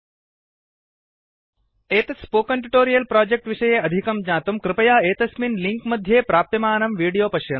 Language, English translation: Sanskrit, 00:09:23 00:09:22 To know more about the Spoken Tutorial project, watch the video available at [1]